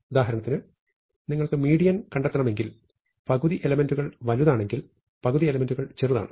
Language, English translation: Malayalam, For instance, if you want to find the median, the value for which half the elements are bigger, half the elements are smaller